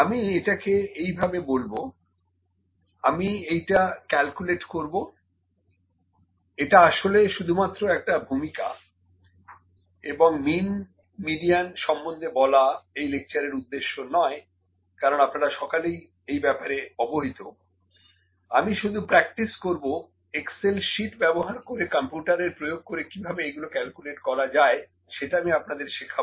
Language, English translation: Bengali, We can say it in this way as well, I will just do the calculations this is actually just introduction and the purpose of this lecture is not to just tell about the mean, median because you people might be knowing this thing, I will practice this, I will make you to learn how to calculate this using Excel sheets, how to actually calculate, how to actually make the use of computers to calculate these things